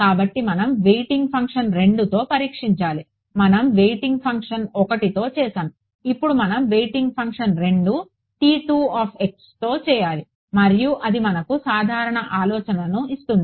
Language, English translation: Telugu, So, we have to test with let us say weighting function 2, we did with weighting function 1 now we have to do with weighting function 2 which is T 2 x and that will give us the general idea